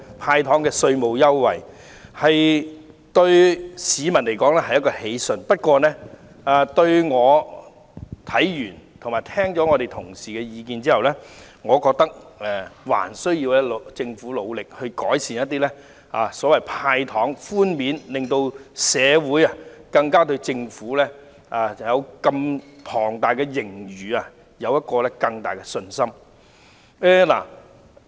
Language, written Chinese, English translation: Cantonese, "派糖"對市民來說固然是喜訊，但在審視《條例草案》和聽取同事的意見後，我認為政府仍需努力改善"派糖"寬免措施，令社會對坐擁龐大盈餘的政府加強信心。, The handing out of candies will certainly come as good news to the public . However after examining the Bill and listening to the views of Honourable colleagues I think that the Government should make more efforts to improve its concessionary measure of handing out candies so as to increase public confidence in the Government which has a huge surplus